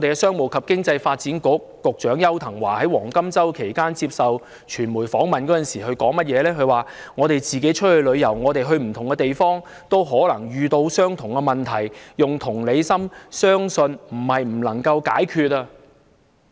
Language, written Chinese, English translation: Cantonese, 商務及經濟發展局局長邱騰華在"黃金周"期間接受傳媒訪問，他說："我們自己出去旅遊，我們去不同地方，都可能遇到相同問題，用同理心，相信不是不能解決"。, In his interview with the media during the Golden Week the Secretary for Commerce and Economic Development Edward YAU said When we go abroad for travel and visit different places we may encounter the same problem . I believe nothing cannot be solved with empathy